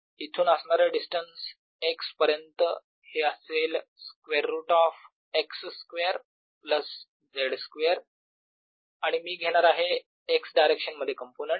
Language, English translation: Marathi, x is going to be square root of x square plus z square and i am going to take the component, the x direction